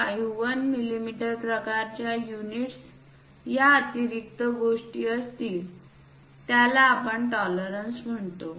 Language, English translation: Marathi, 51 mm kind of units this extra thing what we call tolerances